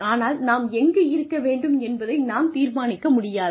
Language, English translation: Tamil, We cannot decide, what we need to get to where we want to be